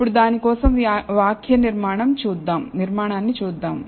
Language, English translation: Telugu, Now, let us look at the syntax for it